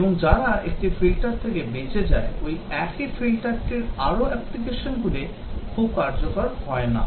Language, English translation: Bengali, And those which are survived a filter further applications of the same filter is not very effective